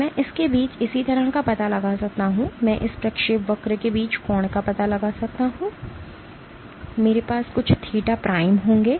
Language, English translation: Hindi, I can find out similarly between this I can find out the angle between this trajectory here, I will have some theta prime